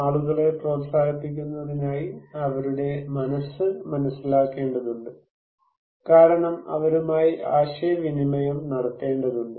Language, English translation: Malayalam, Now, this process in order to encourage people, we need to understand their mind because we have to communicate with them